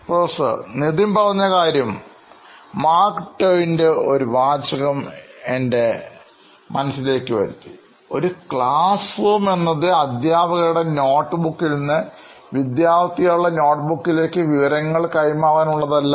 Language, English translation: Malayalam, What Nithin said reminded me of Mark Twain’s quote, “that a classroom should not be a transfer of notes from the teacher’s notebook to the student’s notebook without going through the minds of either”